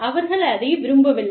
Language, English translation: Tamil, And, they do not like it